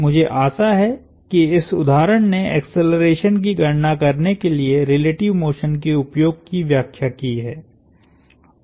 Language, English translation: Hindi, I hope this example illustrated the use of relative motion to compute accelerations